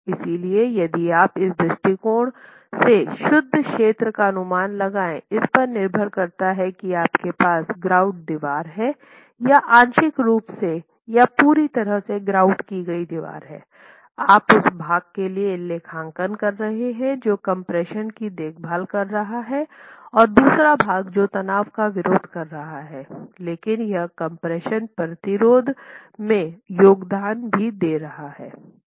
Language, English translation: Hindi, So, from that perspective, if you can make an estimate of net area, depending on whether you have an ungrouted wall or a partially grouted wall or fully grouted wall, you are accounting for the part that is taking care of compression and the second part which is therefore tension but is also contributing to the compression resistance